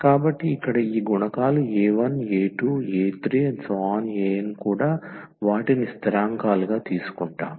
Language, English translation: Telugu, So, these coefficients here a 1, a 2, a 3, a n they are also taken as constants